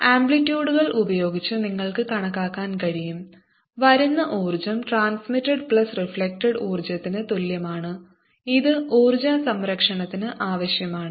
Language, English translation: Malayalam, you can also show with these amplitudes that the energy coming in is equal to the energy reflected plus energy transmitted, which is required by energy conservation